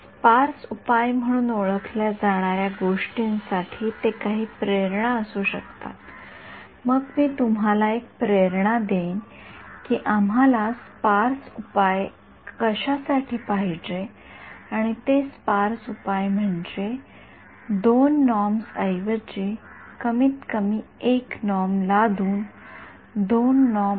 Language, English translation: Marathi, They may be some motivation to go for what is called as sparse solution, then I will give you a motivational why we would want a sparse solution and that is sparse solution comes by imposing a norm on the minimum 1 norm instead of 2 norm minimum 1 norm